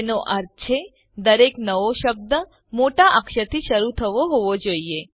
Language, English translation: Gujarati, * Which means each new word begins with an upper case